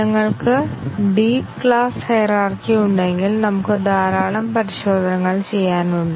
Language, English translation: Malayalam, If we have a deep class hierarchy we will have lot of testing to do